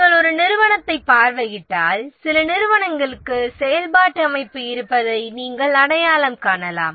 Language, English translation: Tamil, If you visit a organization, you can identify that some organizations have functional organization